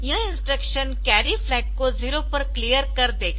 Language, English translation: Hindi, So, this will clear the carry flag to 0